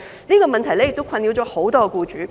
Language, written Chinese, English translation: Cantonese, 這個問題亦困擾很多僱主。, This is also a problem besetting many employers